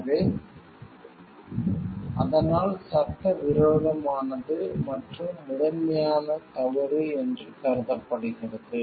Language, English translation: Tamil, So, but why is it considered to be illegal and prima facie wrong